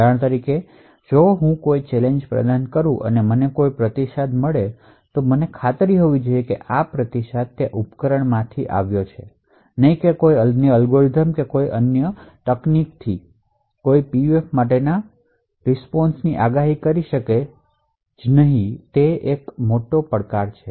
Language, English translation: Gujarati, So, for example, if I provide a challenge and I obtain a response I should be guaranteed that this response is actually originated from that device and not from some other algorithm or some other technique, So, someone could actually predict the response for the PUF for that particular challenge